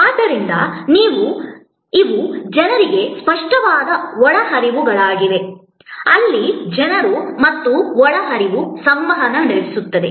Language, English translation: Kannada, So, these are tangible inputs to people, where people and the inputs interact